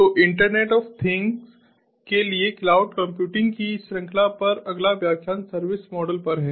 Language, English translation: Hindi, so the next lecture on the series on cloud computing for internet of things is on the service models